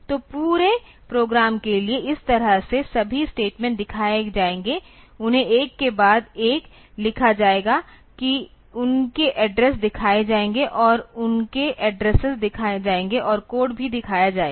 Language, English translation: Hindi, So, this way for the entire program all the statements they will be shown, they will be written one after the other that their addresses will be shown and their addresses will be shown and also there code will be shown